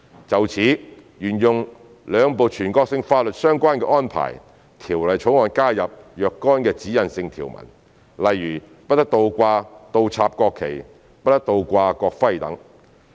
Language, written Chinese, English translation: Cantonese, 就此，為沿用兩部全國性法律的相關安排，《條例草案》加入若干指引性條文，例如不得倒掛、倒插國旗，不得倒掛國徽等。, In this connection the Bill follows the relevant arrangements of the two national laws by incorporating certain directional provisions into the Bill for example a national flag or a national emblem must not be displayed upside down